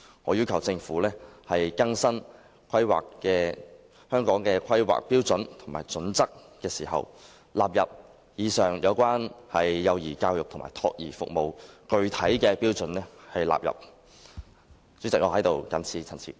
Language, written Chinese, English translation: Cantonese, 我要求政府在更新《規劃標準》時，將以上有關幼兒教育及託兒服務的具體標準納入《規劃標準》。, I request the Government to incorporate the specific standards relating to early childhood education and child care services into HKPSG in the course of updating